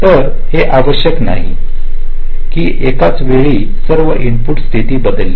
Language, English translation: Marathi, so it is not necessarily true that all the inputs will be changing state at the same time